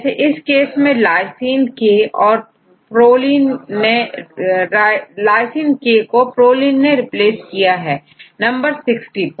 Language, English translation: Hindi, Here in this case lysine K is replaced with proline at residue number 60 right